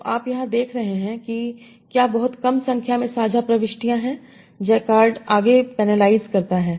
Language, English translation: Hindi, So you are seeing here if there are very small number of shared entries, Jakard further penalizes